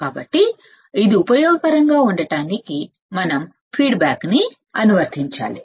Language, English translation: Telugu, So, to make it useful we have to apply we have to apply feedback